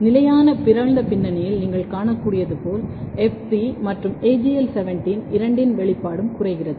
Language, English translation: Tamil, As you can see in the constant mutant background, the expression of both FT as well AGL17 is decreased